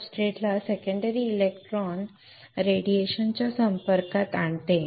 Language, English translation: Marathi, That it exposes substrate to secondary electron radiation